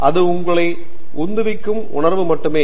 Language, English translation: Tamil, It is only the passion that drives you